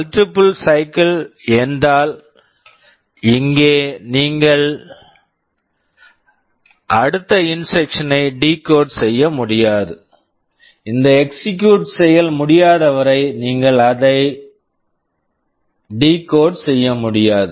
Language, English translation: Tamil, Multiple cycle means here you cannot decode this next instruction, unless this execute is over you cannot decode it